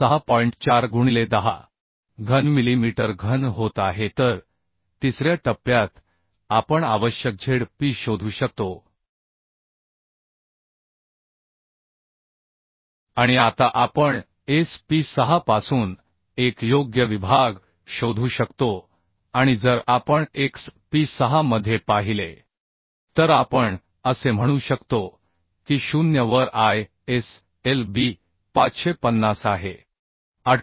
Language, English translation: Marathi, 4 into 10 cube millimeter cube okay So in step three we could find out the Zp require and now we can find out a suitable section from sp6 and if we look into sp6 we can say that ISLB 550 at 0